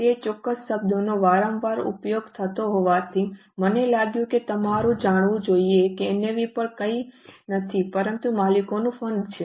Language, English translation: Gujarati, Anyway, since that particular term is often used, I felt that you should know that NAV is also nothing but the owner's fund